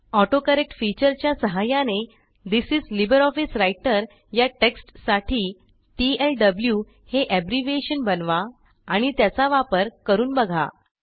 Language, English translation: Marathi, Using the AutoCorrect feature, create an abbreviation for the text This is LibreOffice Writer as TLW and see its implementation